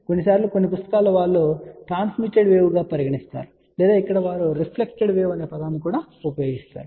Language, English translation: Telugu, Sometimes in some books they also talk this as a transmitted wave also ok or over here they use the term reflected wave